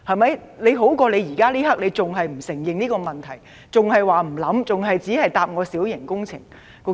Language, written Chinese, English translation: Cantonese, 這總好過現在你仍然不承認這個問題，還說不考慮，只是以規管小型工程來回答我。, This is at any rate better than your present refusal to recognize the problem and consider our proposals and only giving me a reply about regulating minor works